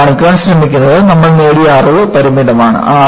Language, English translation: Malayalam, What is attempted to be shown here is the knowledge, you gained is limited